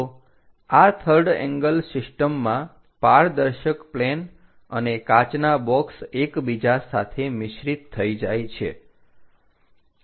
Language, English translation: Gujarati, So, in this third angle system is more like transparent planes and glass boxes are intermingled with each other